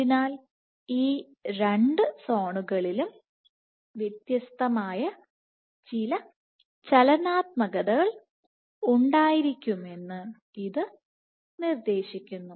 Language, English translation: Malayalam, So, suggesting that there must be some dynamics which is different in these two zones